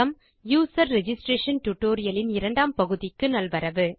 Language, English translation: Tamil, Welcome to the second part of the User registration tutorial